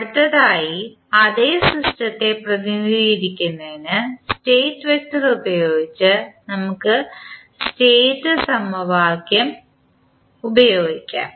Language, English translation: Malayalam, Now, next we can also use the State equation using the state vector for representing the same system